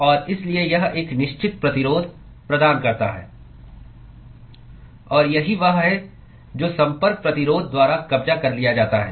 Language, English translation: Hindi, And therefore that offers a certain resistance and that is what is captured by the Contact Resistance